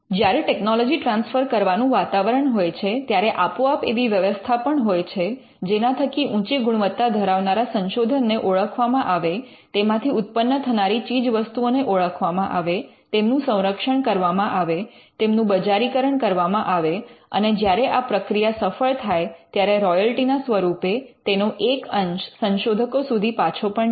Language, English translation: Gujarati, So, if there is a culture of technology transfer then there is going to be setups by which we identify quality research, we identify the products that come out of quality research, we protect them and we commercialize them and when they are commercialized, a portion is paid back to the researchers as royalty